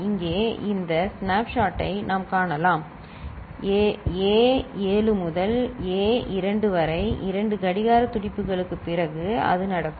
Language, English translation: Tamil, And here we can see this snapshot of it so, A 7 to A 2, after 2 clock pulses where it is